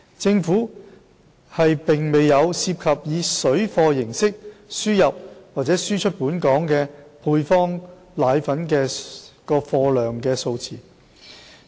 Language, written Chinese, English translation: Cantonese, 政府沒有涉及以"水貨"形式輸入或輸出本港的配方粉貨量數字。, The Government does not have statistics on the volume of powdered formulae imported into or exported out of Hong Kong in the form of parallel trade